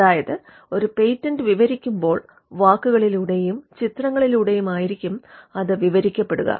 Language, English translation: Malayalam, So, the descriptive part, when a patent is described would be in words and figures